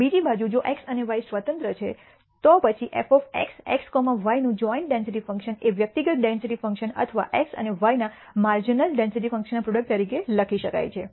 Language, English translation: Gujarati, On the other hand, if x and y are independent, then the joint density function of f of x x comma y can be written as the product of the individual density functions or marginal density functions of x and y